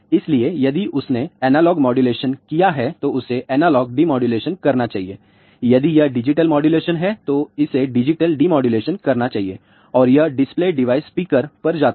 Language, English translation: Hindi, So, if it has done analog modulation it should do analog demodulation, if it is digital modulation it should do the digital demodulation and that goes to the display device speaker